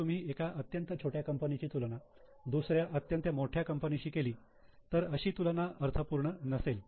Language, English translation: Marathi, If you are comparing with very small company with very large company, sometimes the comparison may not be meaningful